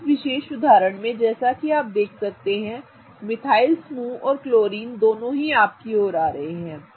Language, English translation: Hindi, Now, in this particular example as you can see the methyl group and the chlorine are both coming towards you